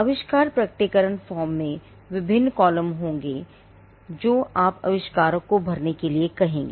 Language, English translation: Hindi, The invention disclosure form will have various columns which you would ask the inventor to fill